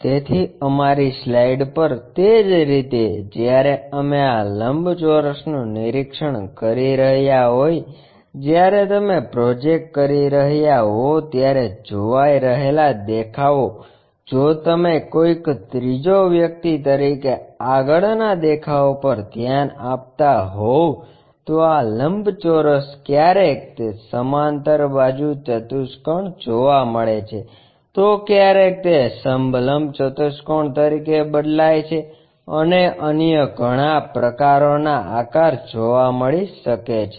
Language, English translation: Gujarati, So, in the same way on our slide when we are observing this rectangles, the views when you are projecting, as a third person if you are looking at that front view projected ones this rectangle drastically changes to parallelogram sometimes trapezium and many other kind of shapes